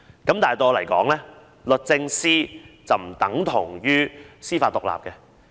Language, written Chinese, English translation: Cantonese, 可是，對我來說，律政司並不等同於司法獨立。, But to me DoJ is not equivalent to judicial independence